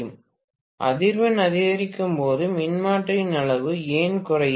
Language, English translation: Tamil, When the frequency increases why would the size of the transformer decrease